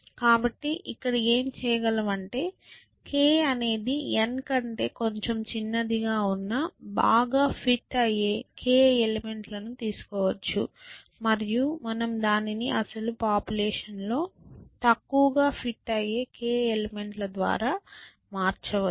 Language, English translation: Telugu, So, what one might do is that, one might take the most fit k elements where k is a little bit smaller than n and we place it in the original population by the least fit k elements